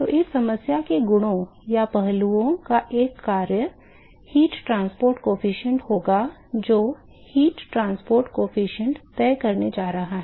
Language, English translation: Hindi, What are the different quantities or properties of the fluid, which is going to influence the heat transport coefficient